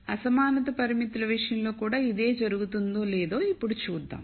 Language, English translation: Telugu, Now we will see whether the same thing happens in the case of inequality constraints